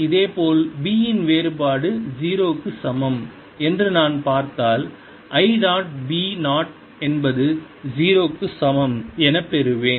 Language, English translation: Tamil, similarly, if i look at, divergence of b is equal to zero, i get i dot, b zero is equal to zero